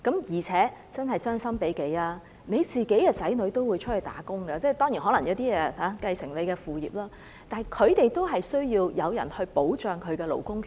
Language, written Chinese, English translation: Cantonese, 而且，將心比己，你的子女也會外出工作——當然，有些人亦可能會繼承父業——但他們也需要有人保障其勞工權益。, Also think about the situation from another perspective your children will also become someones employees one day―of course some of them may succeed to the family business―and their labour rights and interests will need protection